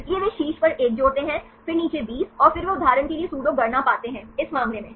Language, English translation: Hindi, So, they add one at the top then 20 at the bottom and then they find the pseudo count for example, in this case